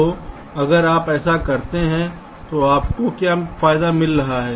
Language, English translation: Hindi, so if you do this, what advantage you are getting